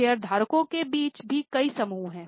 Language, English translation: Hindi, Between the shareholders also, there are many groups